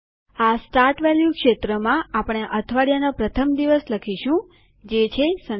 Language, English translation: Gujarati, In the Start value field, we type our first day of the week, that is, Sunday